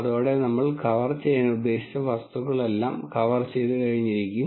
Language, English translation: Malayalam, With that all the material that we intended to cover would have been covered